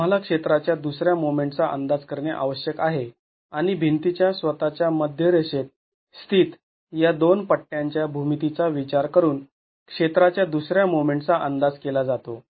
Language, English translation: Marathi, We need to estimate the second moment of area and the second moment of area is estimated considering the geometry of these two strips that are sitting about the center line of the wall itself